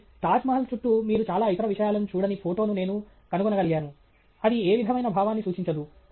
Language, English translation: Telugu, So, I have managed to find a photograph where you don’t seem to see many other things around the Taj Mahal which would indicate any sense of scale